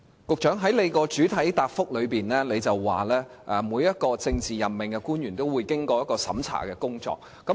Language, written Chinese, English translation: Cantonese, 局長，你在主體答覆表示，每位政治委任官員均須接受深入審查。, Secretary it is stated in your main reply that every PAO is required to undergo extended checking